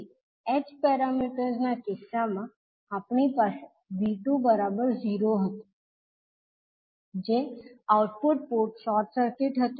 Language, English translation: Gujarati, So in case of h parameters we were having V2 is equal to 0 that is output port was short circuited